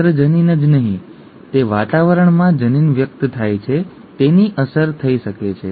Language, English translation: Gujarati, Not just the gene, the environment in which the gene is expressed could have an impact